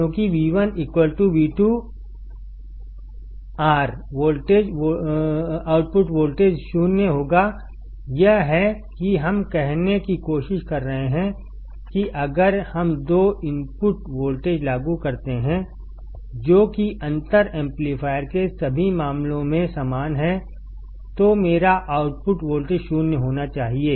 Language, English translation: Hindi, Because V1 equals to V2, the output voltage will be 0; this is what we are trying to say, that if we apply two input voltages, which are equal in all respects to the differential amplifier then my output voltage must be 0